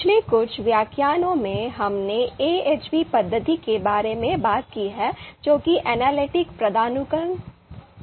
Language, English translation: Hindi, So in previous few lectures, we talked about the AHP method that is Analytic Hierarchy Process